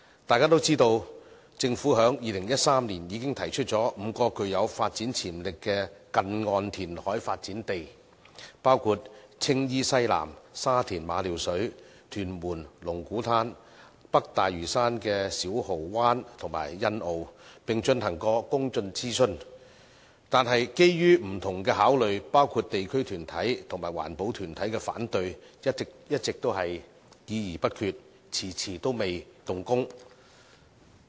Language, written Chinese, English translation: Cantonese, 大家都知道，政府在2013年已經提出5幅具有發展潛力的近岸填海發展地，包括青衣西南、沙田馬料水、屯門龍鼓灘、北大嶼山的小蠔灣和欣澳，並曾進行公眾諮詢，但基於不同的考慮，包括地區團體和環保團體的反對，一直只是議而不決，遲遲都未動工。, As Members all know the Government proposed five near - shore reclamation sites with development potential in 2013 namely Tsing Yi Southwest Ma Liu Shui in Sha Tin Lung Kwu Tan in Tuen Mun and Siu Ho Wan and Sunny Bay in Lantau North . Public consultation exercises were held but after considering various factors including objections from community and environmentalist groups no decision has been made and the projects have yet to commence